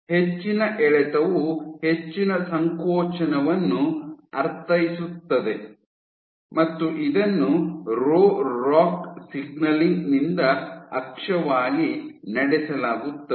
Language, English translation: Kannada, So, higher traction means higher contractility and this is driven by the Rho ROCK signaling as axis